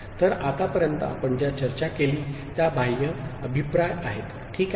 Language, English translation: Marathi, So, what we had discussed so far constitutes external feedback, ok